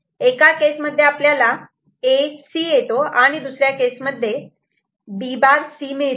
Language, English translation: Marathi, So, in one case will get A C, another case it will get P prime C